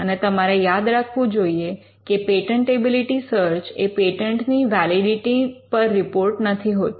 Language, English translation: Gujarati, So, you need to bear in mind that a patentability search is not a report on the validity of a patent